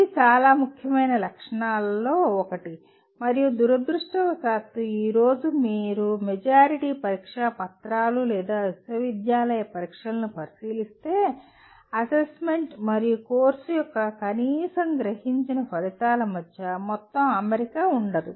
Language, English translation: Telugu, This is one of the very important properties and unfortunately today if you look at majority of the test papers or the university exams, there is a total lack of alignment between the assessment and at least perceived outcomes of the course